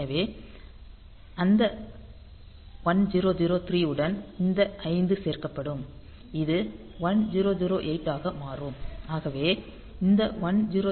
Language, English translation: Tamil, So, with that 1003; this 5 will be added; so, it will become 1008